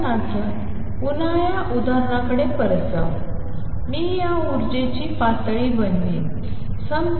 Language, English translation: Marathi, For example again going back to this example I will make these energy levels